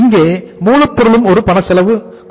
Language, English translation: Tamil, Here raw material is also a cash cost component